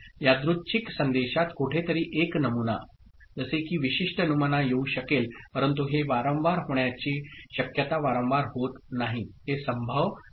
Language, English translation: Marathi, In a random message somewhere a pattern, like a particular pattern may come, but it is getting repeated number of times it is unlikely, it is unlikely ok